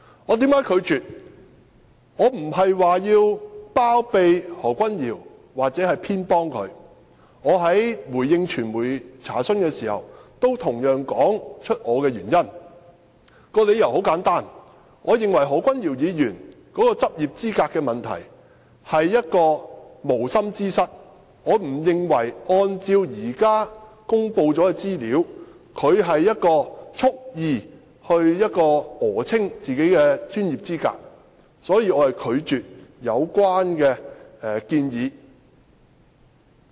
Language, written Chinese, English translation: Cantonese, 我並非要包庇或偏袒何君堯議員，我在回應傳媒查詢時，同樣說出我的原因，理由很簡單，我認為何君堯議員的執業資格問題是無心之失，我不認為按照現時公布的資料，他有蓄意訛稱自己的專業資格，所以，我拒絕有關的建議。, When I responded to the medias enquiry I gave the same reason which was a very simple one . I thought the issue of Dr Junius HOs qualification was just a negligence . According to the information then revealed I did not think that he had falsely claimed his professional qualifications intentionally